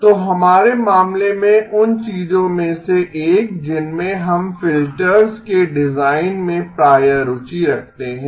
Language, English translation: Hindi, So one of the things that we are often interested in the design of filters in our case